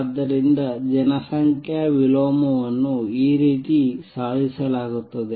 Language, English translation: Kannada, So, this is how population inversion is achieved